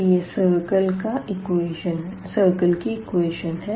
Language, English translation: Hindi, So, this is a equation of the circle